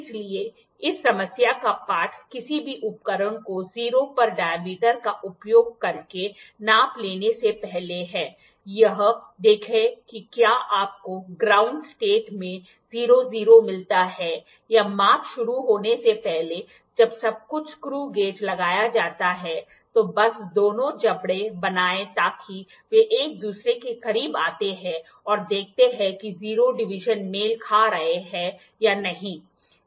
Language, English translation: Hindi, So, the lesson of this problem is before trying to take any measurement using any instruments dial it to 0, see whether you get 00 in the ground state or before the start of the measurement when everything is put screw gauge, just make both the jaws comes close to each other and see whether the 0 divisions are matching